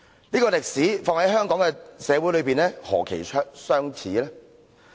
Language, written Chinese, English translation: Cantonese, 這個歷史放在香港社會是何其相似。, This page in history resembles the situation of Hong Kong society